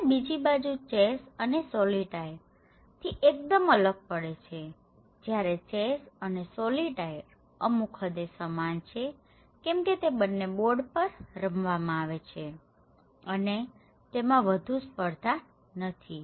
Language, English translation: Gujarati, On the other hand, they are completely different from chess or solitaire, in other sense that chess and solitaire are quite similar because they both are played on board and they both are not competitive as such okay